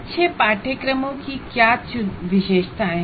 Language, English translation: Hindi, What are the features of good courses